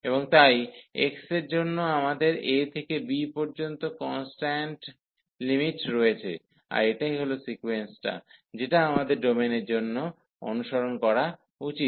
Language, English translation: Bengali, And for then x we have the constant limits from a to b, so that is the sequence, we should follow for such domain